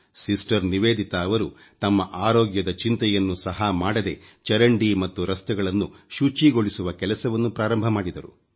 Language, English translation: Kannada, Sister Nivedita, without caring for her health, started cleaning drains and roads